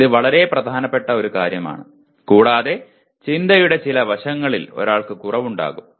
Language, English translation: Malayalam, This is a very major thing and one maybe deficient in some aspects of thinking